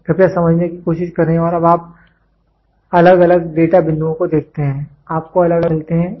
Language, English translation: Hindi, So, please try to understand and now you see varying data points you get varying measurements